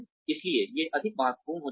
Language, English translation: Hindi, So, these become more important